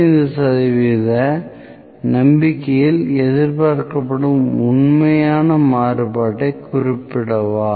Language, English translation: Tamil, State the true variance expected at 95 percent confidence